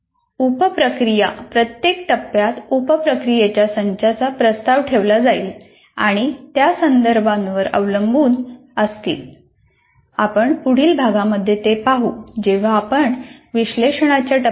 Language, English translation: Marathi, The sub processes, now what happens is we will be proposing a set of sub processes in each phase and they are context dependent